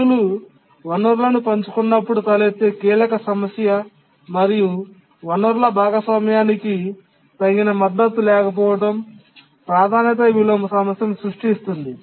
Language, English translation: Telugu, One of the crucial issue that arises when tasks share resources and we don't have adequate support for resource sharing is a priority inversion problem